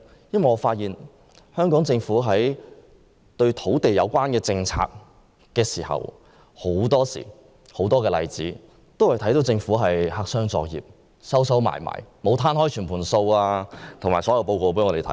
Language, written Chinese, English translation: Cantonese, 因為我們看到，香港政府在實施多項與土地有關的政策時都是黑箱作業，沒有把所有相關數字和報告公開。, That is because the Government has been engaged in black - box operation when implementing a host of land policies . It has never made public the relevant data and reports